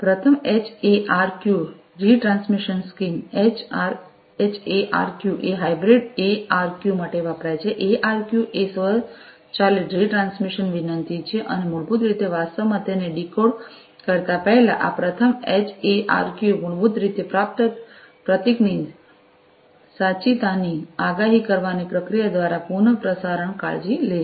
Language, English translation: Gujarati, First HARQ retransmission scheme, HARQ stands for hybrid ARQ, ARQ is automatic retransmission request and basically this first HARQ is basically takes care of the retransmission through the procedure of predicting the correctness of the received symbol, before actually decode decoding it